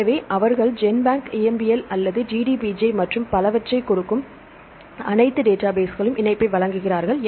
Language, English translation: Tamil, So, they give the link to the all the databases right they give GenBank EMBL or the DDBJ and so on